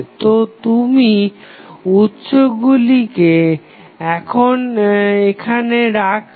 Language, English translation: Bengali, So, you will retain the sources now